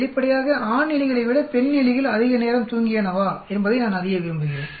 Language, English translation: Tamil, Obviously, I want to know if the females slept longer than the males